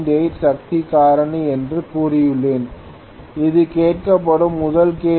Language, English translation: Tamil, 8 power factor leading okay this is the first question that is being asked okay